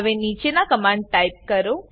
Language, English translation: Gujarati, Now type the following commands